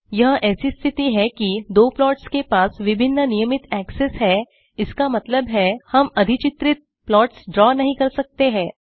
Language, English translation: Hindi, The situation is such that the two plots have different regular axes which means we cannot draw overlaid plots